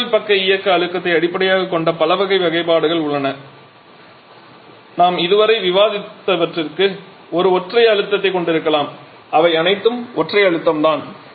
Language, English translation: Tamil, There are several types of classifications one is based upon the steam side operating pressure we can have a single pressure just the ones that we have discussed so far they are all single pressure